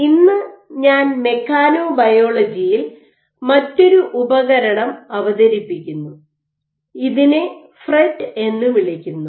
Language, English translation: Malayalam, Today I would introduce another tool in mechanobiology, this is called FRET